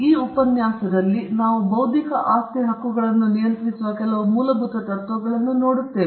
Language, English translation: Kannada, In this lecture, we will be looking at some of the fundamental principles that govern intellectual property rights